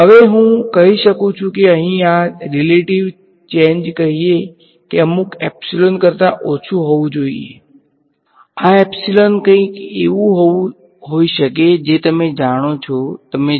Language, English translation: Gujarati, Now I can say that this relative change over here should be less than let us say some epsilon; this epsilon can be something like you know you know 0